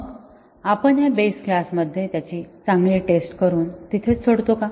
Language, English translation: Marathi, So, do we test it well in the base class and leave it there